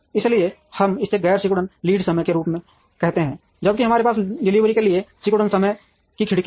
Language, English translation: Hindi, So, we call this as non shrinking lead times, while we have shrinking time window for delivery